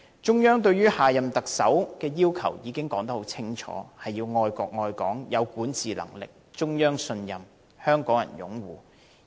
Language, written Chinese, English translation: Cantonese, 中央對下任特首的要求已經說得很清楚，要愛國愛港、有管治能力、得到中央信任和香港人擁護。, The Central Authorities have unequivocally stated the prerequisites for the next Chief Executive namely love the country and love Hong Kong the capability to manage Hong Kong trusted by the Central Authorities and supported by Hong Kong people